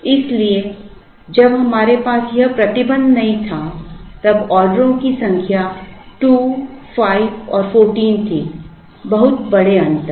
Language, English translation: Hindi, So, when we did not have this constraint the number of orders was 2, 5 and 14 very large difference